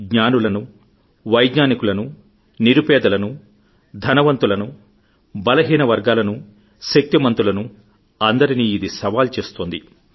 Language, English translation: Telugu, It is posing a challenge to Knowledge, science, the rich and the poor, the strong and the weak alike